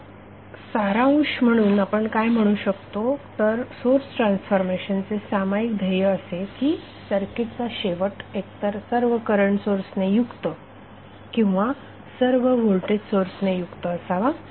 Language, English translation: Marathi, Now in summary what we can say that the common goal of the source transformation is to end of with either all current sources or all voltage sources in the circuit